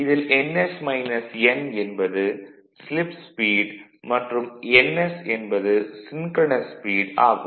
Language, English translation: Tamil, This is ns minus n is called slip speed and this is your synchronous speed